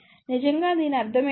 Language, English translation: Telugu, What is that really mean